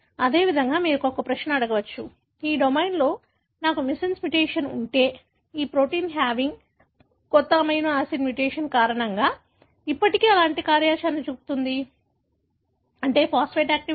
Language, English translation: Telugu, Likewise, you can ask a question, if I have a missense mutation in this domain, whether the proteinhaving this, the new amino acid because of the mutation, still show the kind of activity, that is phosphatase activity